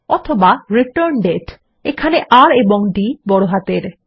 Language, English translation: Bengali, Or ReturnDate with a capital R and D